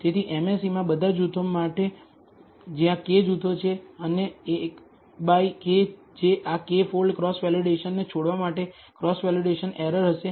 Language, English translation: Gujarati, So, the MSE in this case for all groups, where there are k groups, and 1 by k that will be the cross validation error for leave this k fold cross validation